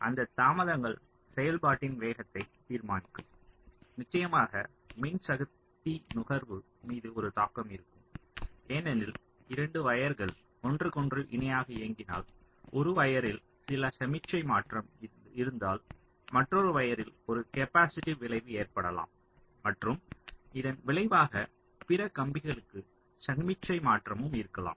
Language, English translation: Tamil, so those delays will determine the speed of operation and of course there will be an impact on power consumption because if there are two wires running parallel to each other, if there is some signal transition on one wire, there can be an capacitive effect on the other and there can be also a resulting signal transitioning to the other wire